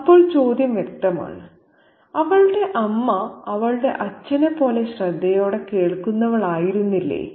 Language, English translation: Malayalam, Then the question obviously is, was not her mother as keen a listener as her father